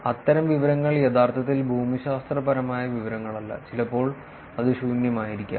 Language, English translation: Malayalam, And information like that is actually it is not geographic information at all, and sometimes it could be actually empty